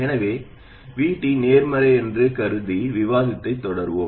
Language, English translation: Tamil, So we will continue the discussion assuming that VT is positive